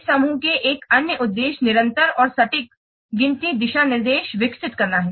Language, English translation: Hindi, Another objective of this group is to develop consistent and accurate counting guidelines